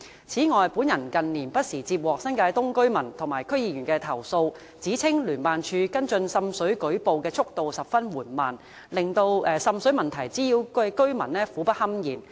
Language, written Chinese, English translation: Cantonese, 此外，本人近年不時接獲新界東居民和區議員的投訴，指稱聯辦處跟進滲水舉報的速度十分緩慢，令受滲水問題滋擾的居民苦不堪言。, In addition in recent years I have received from time to time complaints from residents and District Council members in New Territories East that JO has been very slow in following up reports on water seepage leaving residents troubled by water seepage nuisance in misery